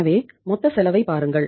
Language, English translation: Tamil, So look at the total cost